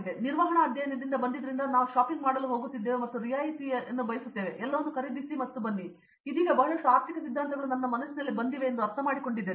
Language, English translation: Kannada, So, since I am from management studies previously like we used to go shopping are discount and go, buy it everything and come and now lot of economic theories come into my mind okay I understand